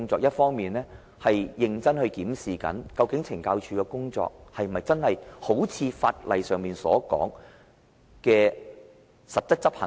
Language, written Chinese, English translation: Cantonese, 第一，認真檢視懲教署的工作，是否真的一如法例上要求實質執行？, First conducting a rigorous review to ascertain whether the work of CSD truly complies with the statutory requirements